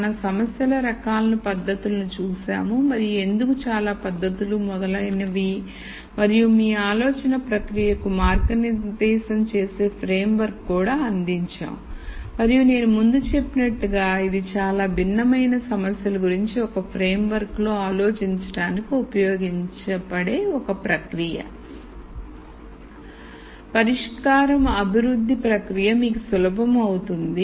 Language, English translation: Telugu, So, we looked at the types of problems, the techniques and why so many techniques and so on and we also provided a framework to guide your thought process and as I mentioned before this is a process that you can use to think about many different problems in a framework in the same way